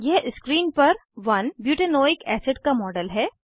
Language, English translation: Hindi, This is the model of 1 butanoic acid on screen